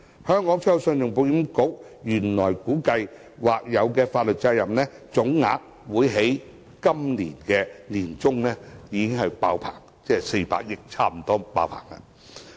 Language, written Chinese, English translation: Cantonese, 信保局原本估計，所負的或有法律責任總額在本年年中滿額，即差不多達400億元。, ECIC originally estimated that the contingent liability would reach the cap of 40 billion by mid - year